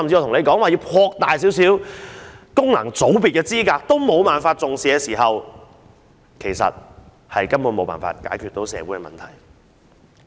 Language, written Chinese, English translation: Cantonese, 如果擴大一些功能界別的範圍也得不到政府當局的重視，根本沒有辦法解決社會的問題。, If the Government does not even attach importance to the request for merely expanding the scope of FCs there is no way that the social problems will ever be resolved